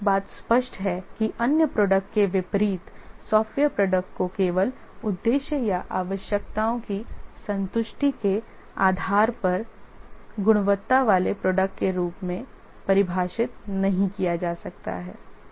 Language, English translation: Hindi, So one thing is clear that unlike other products, software products cannot be defined to be quality product based on just fitness or purpose or satisfaction of the requirements